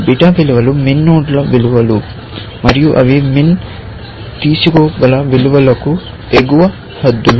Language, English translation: Telugu, Beta values are values of min nodes, and they are upper bounds on the